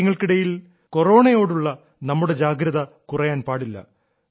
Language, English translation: Malayalam, In the midst of all these, we should not lower our guard against Corona